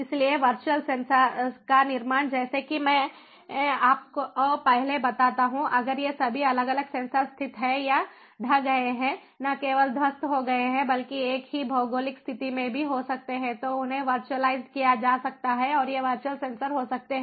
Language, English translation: Hindi, so the formation of virtual sensors: as i tell you before, if all these different sensors are located or collocated not only collocated but also may be in the same geographic location they could be virtualized